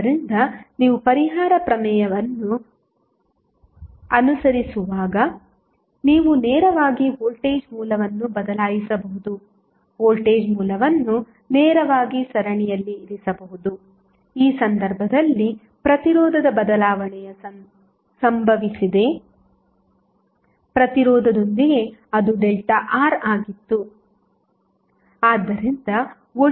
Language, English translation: Kannada, So, this justifies that, when you follow the compensation theorem, you can directly replace the voltage source, directly placed voltage source in series with the at the resistance where the change in resistance happened in this case it was delta R